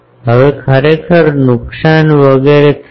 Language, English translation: Gujarati, Now, actually there will be losses etc